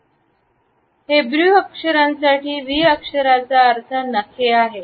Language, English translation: Marathi, The meaning for the Hebrew letter for V is nail